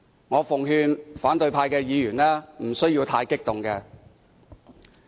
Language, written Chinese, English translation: Cantonese, 我奉勸反對派的議員無須太激動。, I advise opposition Members not to be too agitated